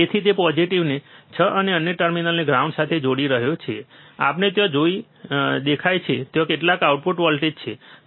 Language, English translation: Gujarati, So, he is connecting the the positive to 6, and the another terminal to ground, what we see there is some output voltage, you can see 7